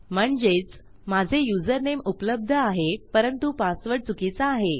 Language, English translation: Marathi, But here, it is saying that my username does exist but my password is wrong